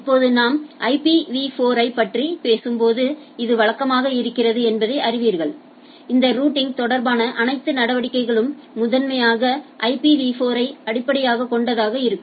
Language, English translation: Tamil, So, IP address is a already all of us or you know that it is typically when we as of now we are talking about IPv4 all our dealing of this routing will be primarily based on IPv4